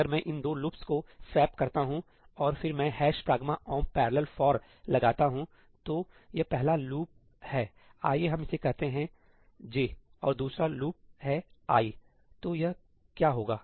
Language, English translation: Hindi, If I swap these two loops and then I put ëhash pragma omp parallel forí, so, the first loop is, let us say, j, and the second loop is i, then what would it be